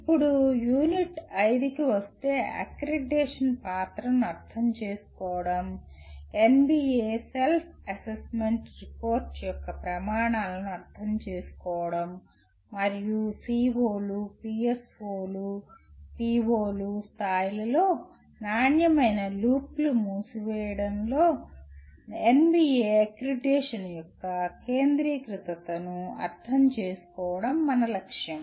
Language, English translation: Telugu, Then coming to Unit 5, our goal or our aim is to understand the role of accreditation, understand the criteria of NBA Self Assessment Report and understand the centrality of NBA accreditation in closing the quality loop at the levels of COs, POs and PSOs